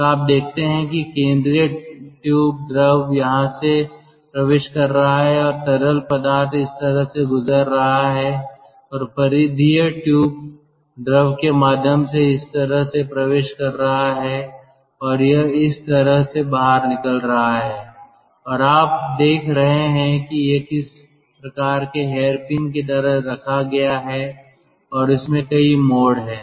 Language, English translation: Hindi, so you see, through the central tube, fluid is entering over here and fluid is passing through like this and ah, through the peripheral tube, fluid is entering like this and it is going out like this, and here you see, it is kept in some sort of a hairpin like of arrangement and ah, there are number of term